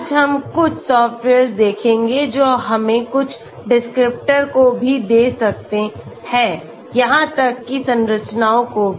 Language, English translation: Hindi, Today, we will look at couple of softwares which can give us certain descriptors even the structures